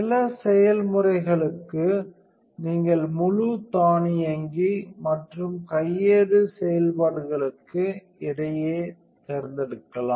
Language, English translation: Tamil, For some processes, you can select between fully automatic and manual operation